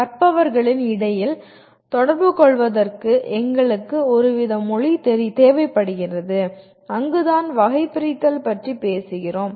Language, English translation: Tamil, And we require some kind of a language to communicate between the learners and that is where we talk about the taxonomy